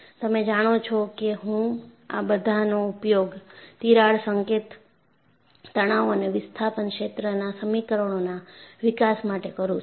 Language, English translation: Gujarati, You know, I would use all of this in our later development of crack tip stress and displacement field equations